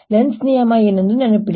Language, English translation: Kannada, remember what is lenz's law